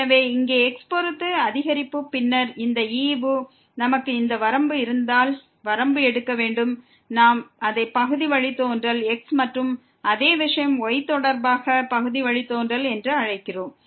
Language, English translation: Tamil, So, here the increment with respect to x and then, this quotient we have to take the limit if this limit exists, we will call it partial derivative with respect to and same thing for the partial derivative of with respect to